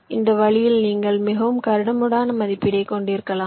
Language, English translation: Tamil, so in this way you can have a very coarse estimate